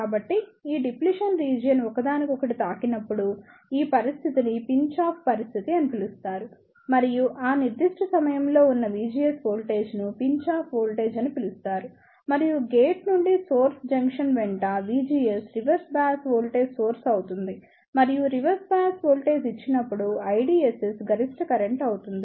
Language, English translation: Telugu, So, the situation when these depletion region touches each other this situation is known as the Pinch off situation and the voltage V GS at that particular moment is known as the Pinch off voltage and V GS is the reverse bias voltage along the gate to source junction and I DSS is the maximum current when no reverse bias voltage is applied